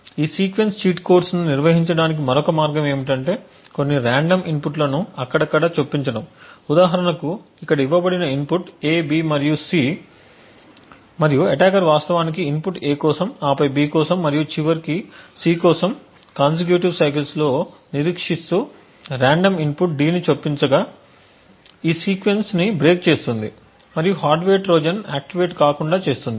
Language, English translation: Telugu, Another way to handle this sequence cheat codes is by arbitrarily inserting some random inputs so for example over here given the input is A B and C and the attacker is actually waiting specifically for A to occur then B and then finally C in consecutive cycles inserting a random input D would actually break this sequence and then prevent the hardware Trojan from being activated